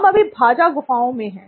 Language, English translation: Hindi, We are right now in Bhaja Caves